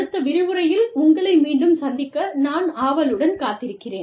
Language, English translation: Tamil, And, I look forward, to talking to you, in the next lecture